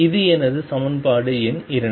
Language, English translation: Tamil, This is my equation number 2